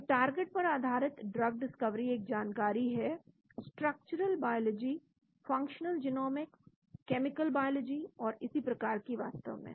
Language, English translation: Hindi, So target based drug discovery is knowledge of structural biology, functional genomics, chemical biology and so on actually